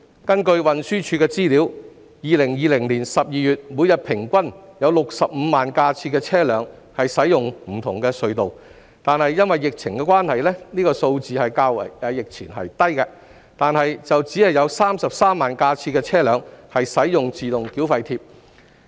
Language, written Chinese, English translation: Cantonese, 根據運輸署的資料 ，2020 年12月每天平均有65萬架次的車輛使用不同的隧道——因疫情關係，這個數字較疫前為低——但只有33萬架次的車輛使用自動繳費貼。, According to the information from TD there was an average of 650 000 vehicles using various tunnels per day in December 2020―due to the pandemic outbreak this figure is lower than before―but only 330 000 of them were using Autotoll tags